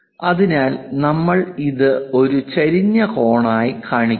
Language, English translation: Malayalam, So, we are showing it as inclined angle